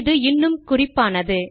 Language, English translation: Tamil, That becomes significant